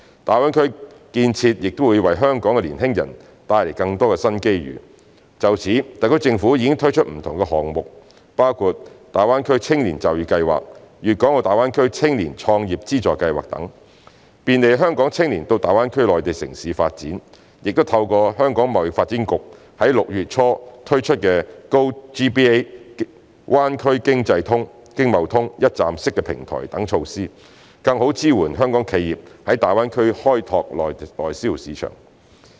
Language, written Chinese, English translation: Cantonese, 大灣區建設亦會為香港的年輕人帶來更多新機遇。就此，特區政府已推出不同項目，包括大灣區青年就業計劃、粵港澳大灣區青年創業資助計劃等，便利香港青年到大灣區內地城市發展；亦透過香港貿易發展局在6月初推出的 GoGBA" 灣區經貿通"一站式平台等措施，更好支援香港企業在大灣區開拓內銷市場。, Noting that the development of GBA will create more new opportunities for the young people of Hong Kong the SAR Government has launched various projects including the Greater Bay Area Youth Employment Scheme and the Funding Scheme for Youth Entrepreneurship in the Guangdong - Hong Kong - Macao Greater Bay Area to facilitate our young people to develop their career in the Mainland cities of GBA . Meanwhile we also make use of among others the GoGBA one - stop platform launched by the Hong Kong Trade Development Council in early June to better support Hong Kongs enterprises in expanding the domestic market in GBA